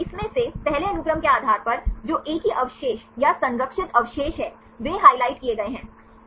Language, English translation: Hindi, From this, based on the first sequence, the one which are the same residues or conserved residues they are highlighted